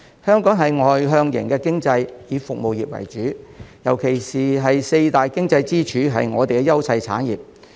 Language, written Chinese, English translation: Cantonese, 香港是外向型經濟，以服務業為主，尤其四大經濟支柱是我們的優勢產業。, Hong Kong is an externally oriented economy and relies heavily on the service industries . In particular the four pillars of the economy are our priority industries